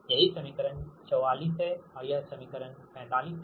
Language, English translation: Hindi, this is equation forty four and this is equation forty five, right